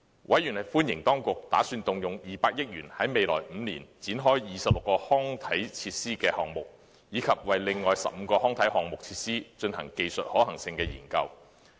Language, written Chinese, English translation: Cantonese, 委員歡迎當局打算動用200億元在未來5年展開26個康體設施項目，以及為另外15個康體設施項目進行技術可行性研究。, Members welcomed the Governments plan to spend 20 billion in the coming five years to launch 26 projects to develop sports and recreation facilities and conduct technical feasibility studies for another 15 sports and recreation facility projects